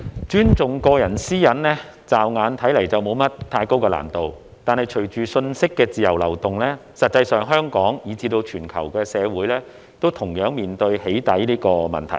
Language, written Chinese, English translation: Cantonese, 主席，尊重個人私隱，驟眼看似沒有太高難度，但隨着信息的自由流動，實際上，香港以至全球社會均同樣面對"起底"這個問題。, President respecting personal privacy may not seem too difficult at first glance but along with the free flow of information Hong Kong and the global community alike are in fact faced with the same problem of doxxing